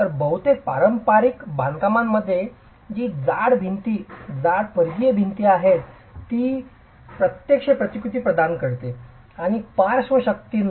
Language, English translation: Marathi, So, in most traditional constructions, its thick walls, thick peripheral walls that actually provided the resistance even to lateral forces